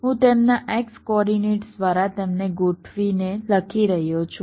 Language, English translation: Gujarati, so i am writing them sorted by their x coordinates